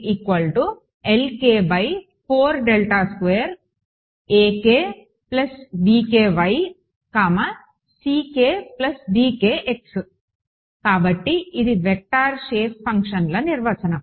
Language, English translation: Telugu, So, this is a definition of vector shape functions